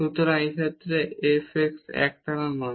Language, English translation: Bengali, So, in this case this f x is not continuous